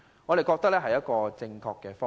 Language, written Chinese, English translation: Cantonese, 我們認為這是正確的方向。, We think this proposal is in the right direction